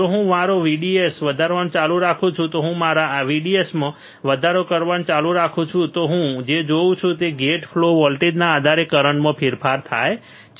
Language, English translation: Gujarati, If I keep on increasing my VDS, if I keep on increasing my VDS then what I will see I will see the change in the current depending on the gate flow voltage